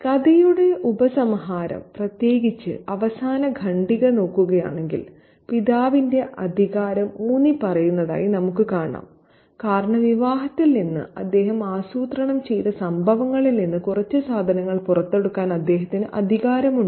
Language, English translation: Malayalam, If we look at the conclusion of the story, especially the last paragraph, we see that the authority of the father is asserted because he has the power to take out a few items from the wedding events that he had planned